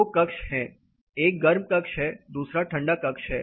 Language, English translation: Hindi, There are two chambers; one chamber is a hot chamber another is a cold chamber